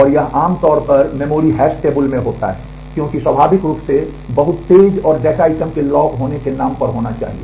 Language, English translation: Hindi, And this is typically a in memory hash table because, it needs to naturally be very fast and is in the name of the data item being locked